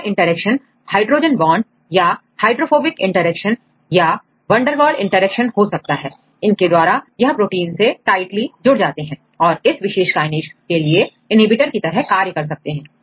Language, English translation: Hindi, You can see the hydrogen bonds or the hydrophobic interactions and the van der Waals interactions and they, because of these interactions they tightly bind to the protein and they act as an inhibitor for these particular Kinase